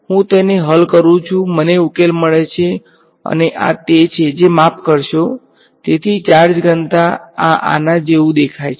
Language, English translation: Gujarati, I solve it I get the solution and this is what the sorry the so charge density this is what it looks like